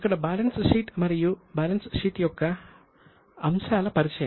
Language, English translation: Telugu, So, introduction to the balance sheet and the elements of balance sheet